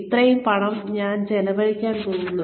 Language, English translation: Malayalam, I am going to spend, so much money